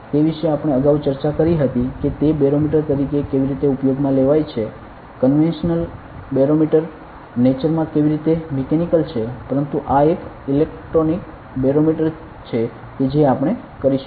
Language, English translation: Gujarati, That we discussed earlier as a to be used as a barometer how it barometer is mechanical in nature the conventional one, but this one is in an electronic barometer that we are going to do ok